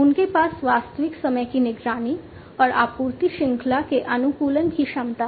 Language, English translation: Hindi, And they have the capability of real time monitoring and optimization of the supply chain